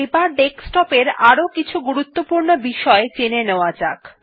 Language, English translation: Bengali, Now lets see some more important things on this desktop